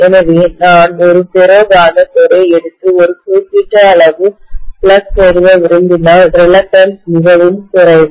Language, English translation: Tamil, So if I take a ferromagnetic core and I want to establish a particular amount of flux, the reluctance is very very low